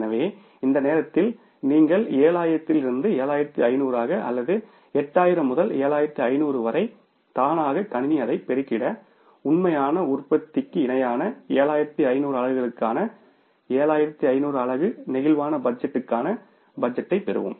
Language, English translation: Tamil, So, at the moment you change the number of units from the 7,000 to 7,500 or from 8,000 to 7,500 automatically system will multiply it and we will get the budget for the 7,500 units flexible budget for the 7,500 units which is at par with the actual production